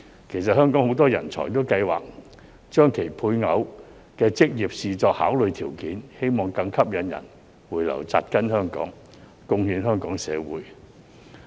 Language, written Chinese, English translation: Cantonese, 其實香港很多人才也計劃將其配偶的職業視作考慮條件，希望更吸引人回流扎根香港，貢獻香港社會。, Actually many Hong Kong talents will take their spouses career into consideration . It is hoped that more people will be lured back to Hong Kong take root here and contribute to our society